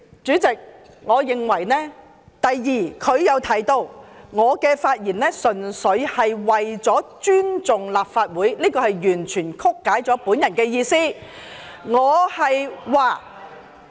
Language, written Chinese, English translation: Cantonese, 主席，我認為，第二，他又提到我的發言純粹為了尊重立法會，這完全曲解了我的意思。, President second he said I rose to speak only to express that we needed to respect the Legislative Council . He completely distorted my meaning